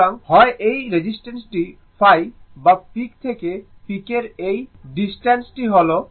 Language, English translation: Bengali, So, either this distance is phi or peak to peak this distance is phi